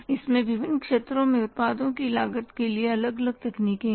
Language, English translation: Hindi, It has different techniques for costing the products in the different sectors